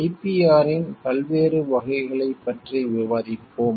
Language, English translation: Tamil, We will discuss about the different categories of IPR